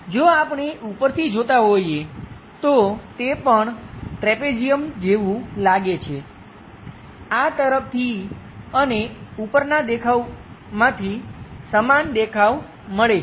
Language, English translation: Gujarati, If we are looking from top, again it looks like trapezium; the same symmetric object comes from this view and also from top view